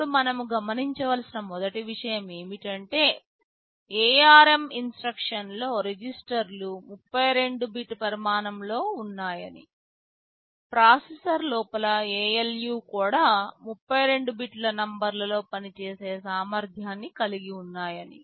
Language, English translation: Telugu, Now, in the ARM instruction set the first thing to notice that the registers are all 32 bit in size, the ALU inside the processor also has the capability of operating on 32 bit numbers